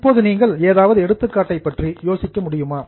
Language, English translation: Tamil, Now, can you think of any examples